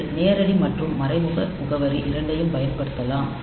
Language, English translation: Tamil, So, you can use both direct and indirect addressing